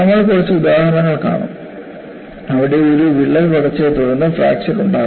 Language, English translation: Malayalam, In fact, we would see a few examples, where you see a crack growth followed by fracture